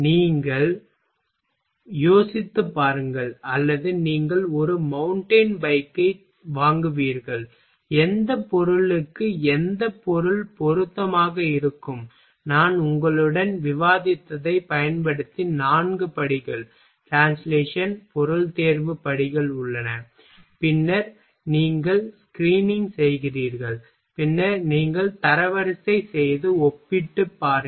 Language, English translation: Tamil, You just think or you will make a buy mountain bike and which material will be appropriate for what component and using what I discussed with you there are four steps, translation, material selection steps, then you do screening, then you do ranking and compare